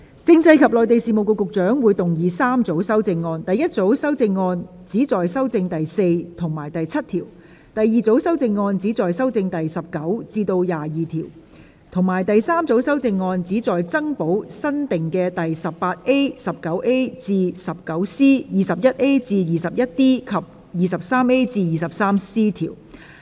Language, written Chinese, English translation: Cantonese, 政制及內地事務局局長會動議3組修正案：第一組修正案旨在修正第4及7條；第二組修正案旨在修正第19至22條；及第三組修正案旨在增補新訂的第 18A、19A 至 19C、21A 至 21D 及 23A 至 23C 條。, The Secretary for Constitutional and Mainland Affairs will move three groups of amendments The first group of amendments seek to amend clauses 4 and 7; the second group of amendments seek to amend clauses 19 to 22; and the third group of amendments seek to add new clauses 18A 19A to 19C 21A to 21D and 23A to 23C